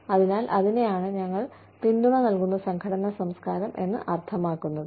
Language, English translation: Malayalam, So, that is what, we mean by, a supportive nurturing organizational culture